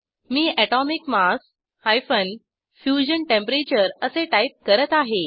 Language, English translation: Marathi, I will type Atomic mass – Fusion Temperature